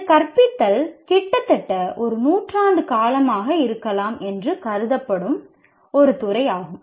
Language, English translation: Tamil, And this is a field, teaching is a field that has been under consideration for maybe almost a century